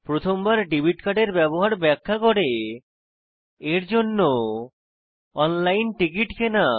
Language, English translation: Bengali, I will also demonstrate the first time use of a debit card and how to use this to purchase the ticket online